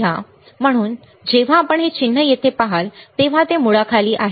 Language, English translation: Marathi, So, when you see this symbol here right this is under root